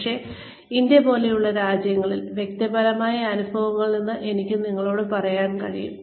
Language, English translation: Malayalam, But, in places like India, I can tell you from personal experience